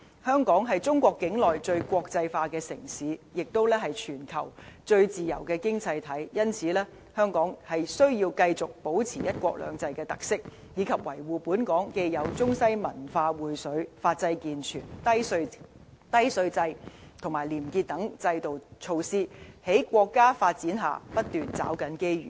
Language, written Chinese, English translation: Cantonese, 香港是中國境內最國際化的城市，亦是全球最自由的經濟體，因此，香港需要繼續保持"一國兩制"的特色，以及維護本港既有中西文化薈萃、法制健全、低稅制及廉潔等制度和措施，在國家發展下，不斷抓緊機遇。, As the most internationalized city in China and an economy with most freedom in the world Hong Kong must preserve the uniqueness of one country two systems maintain our culture which represents a blend of East and West uphold our systems and measures contributing to such features as a rigorous legal system low tax rate and probity as well as seizing the opportunities arising from the states development